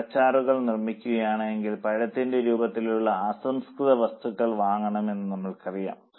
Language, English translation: Malayalam, So, if we are making fruit pulp, we know that raw material in the form of fruit will be purchased